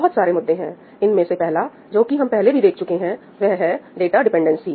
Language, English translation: Hindi, there are several issues the first one of them, we have already seen, is data dependency